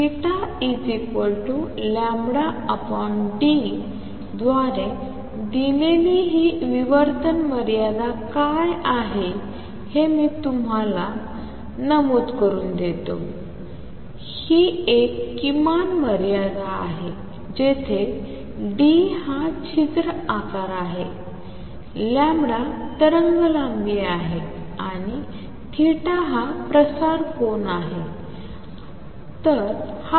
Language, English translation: Marathi, Let me just mention what is this diffraction limit this is given by theta equals lambda over d, this is a minimum limit where d is the aperture size, lambda is the wavelength and theta is the spread angle